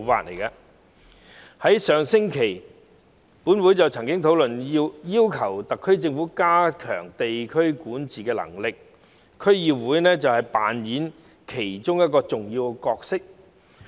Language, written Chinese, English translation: Cantonese, 本會在上星期曾討論要求特區政府加強地區管治能力，而區議會在當中扮演重要的角色。, Last week there was a discussion in this Council on requesting the SAR Government to strengthen district administration in which DCs play an important role